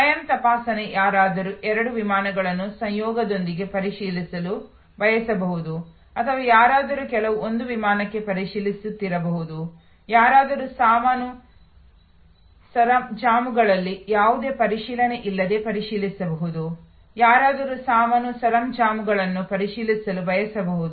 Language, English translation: Kannada, Self checking, somebody may want to check in for two flights in conjunction or somebody may be just checking in for one flight, somebody may checking in without any check in baggage, somebody may be wanting to check in baggage,